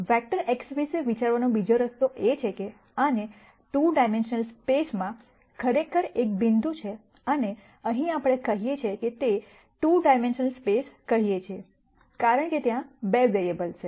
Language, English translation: Gujarati, Another way to think about the same vector X is to think of this as actually a point in a 2 dimensional space and here we say, it is a 2 dimensional space because there are 2 variables